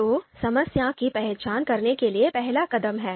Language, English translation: Hindi, So first step, identify the problem